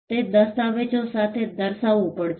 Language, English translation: Gujarati, and that has to be demonstrated with documents